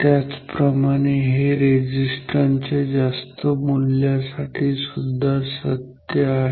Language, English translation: Marathi, Similarly, so, this is true for high value of resistance